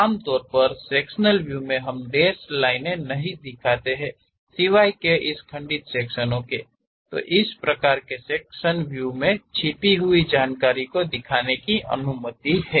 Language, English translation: Hindi, Typically in sectional views, we do not show, except for this broken out sections; in broken our sections, it is allowed to have such kind of hidden information